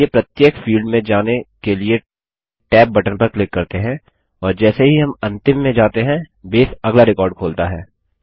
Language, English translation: Hindi, Let us click on the tab key to go to each field, and as we go to the last, Base opens the next record